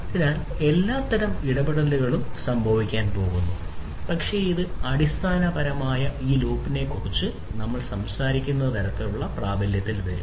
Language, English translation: Malayalam, So, all kinds of interactions are going to happen, but this is basically the kind of loop that we are talking about this loop is going to take into effect, right